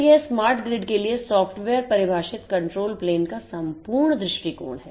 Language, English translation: Hindi, So, this is the holistic view of this software defined control plane for the smart grid